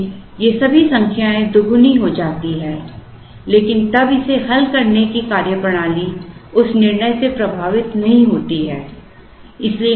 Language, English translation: Hindi, So, all these numbers get doubled but then the methodology of solving it is not affecting by that decision